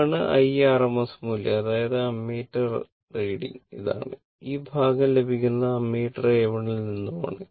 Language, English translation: Malayalam, Now, I rms value that is your reading of ammeter your this will be the ah whatever you will get this portion is the reading of ammeter A 1